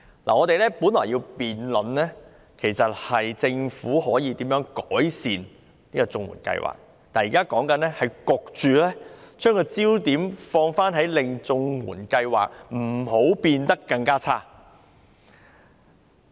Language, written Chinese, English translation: Cantonese, 我們本來要辯論的是政府可以如何改善綜援計劃，但現時討論的焦點卻被迫變成不要令綜援計劃變得更差。, We are supposed to debate how the Government can improve the CSSA Scheme but our discussion now has been forced to focus on preventing the CSSA Scheme from becoming even worse